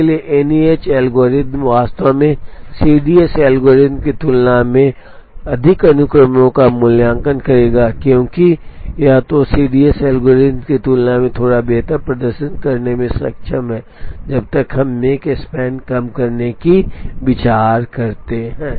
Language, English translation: Hindi, So, NEH algorithm would actually evaluate more sequences, than the CDS algorithm either because of that or otherwise it is able to perform slightly better than the CDS algorithm, when we consider the make span minimization